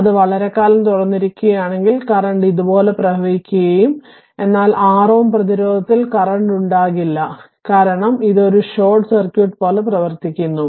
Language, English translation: Malayalam, So, in that case what will happen that if it is open for a long time, the current will flow like this and there will be no current in the 6 ohm resistance because ah it because it behaves like a short circuit